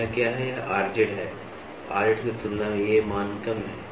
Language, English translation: Hindi, So, what is this, this is R z, as compared to R z this values are less